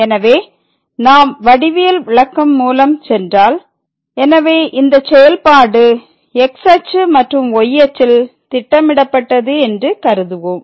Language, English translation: Tamil, So, if we go through the geometrical interpretation, so, let us consider this is the function which is plotted in this and the here